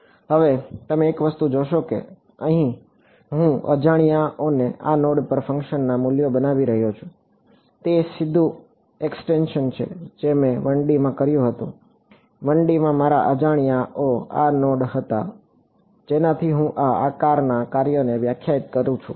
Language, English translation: Gujarati, Now, you one thing you notice that here I am making the unknowns to be the values of the function at these nodes, that is the straightforward extension what I did in 1 D, in 1 D my unknowns were these nodes from that I define these shape functions right everything is good